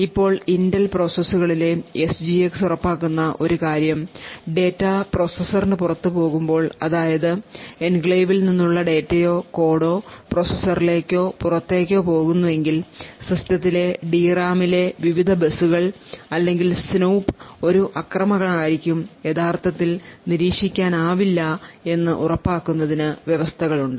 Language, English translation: Malayalam, Now one thing what the SGX in the Intel processors also achieve is that it ensures that when data goes outside the processor that is if data or code from the enclave is going in or out of the processor it has provisions to ensure that no attacker could actually monitor the various buses or snoop at the D RAM present on the system and would be able to actually identify what the code and data actually is or this is achieved by having memory encryption